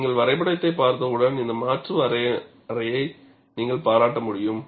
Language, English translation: Tamil, Once you look at the graph, you will be able to appreciate this alternate definition